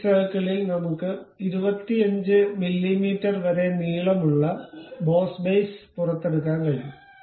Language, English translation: Malayalam, On this circle we can extrude boss base up to 25 mm length